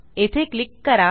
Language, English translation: Marathi, Click here to return